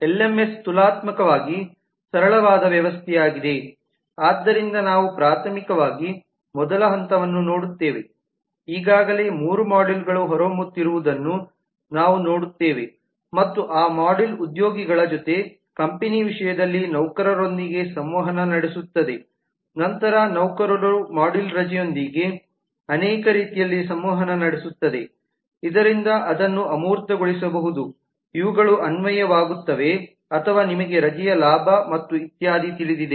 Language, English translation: Kannada, lms is a relatively simple system so we see primarily the first level we already see three modules emerging one is the company and that module will interact with the employees in terms of companies has employees and then employee module in interact with leave in multiple ways so which can be abstracted in the sense that these are apply for or you know avail of leave and so on